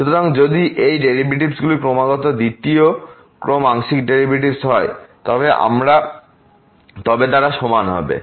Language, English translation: Bengali, So, if these derivatives are continuous second order partial derivatives are continuous then they will be equal